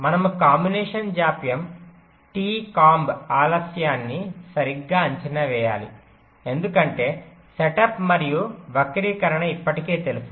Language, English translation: Telugu, we need to estimate the combinational delay t comb delay right, because setup and skew are already known, i am assuming